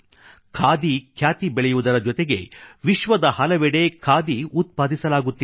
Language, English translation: Kannada, Not only is the popularity of khadi rising it is also being produced in many places of the world